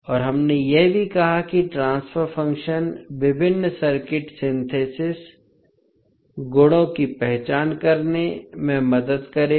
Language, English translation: Hindi, And we also said that the transfer function will help in identifying the various circuit syntheses, properties